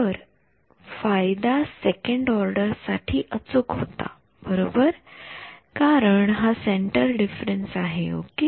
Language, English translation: Marathi, So, advantage was accurate to second order right because its a centre difference ok